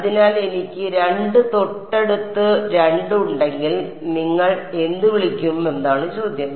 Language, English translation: Malayalam, So, the question is that if I have 2 adjacent 2 adjacent what do you call